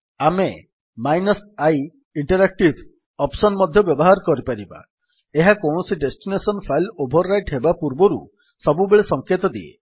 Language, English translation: Odia, We can also use the i option, this always warns us before overwriting any destination file